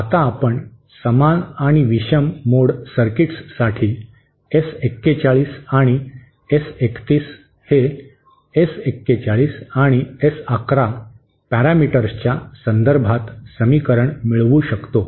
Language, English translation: Marathi, Now we can similarly derived the condition the equation for S 41 and S 31 in terms of the S 41 and S11 parameters for the even and odd mode circuits